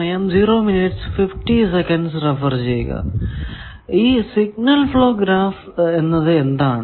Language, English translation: Malayalam, Now, what is a signal flow graph